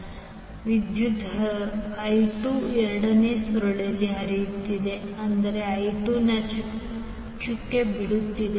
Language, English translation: Kannada, So the current is flowing I 2 is flowing in the second coil that means that I2 is leaving the dot